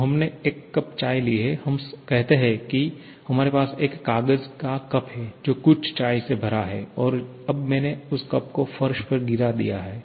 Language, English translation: Hindi, So, we have taken a cup of tea, let us say we have a paper cup which is filled with some tea and now I have dropped that cup to the floor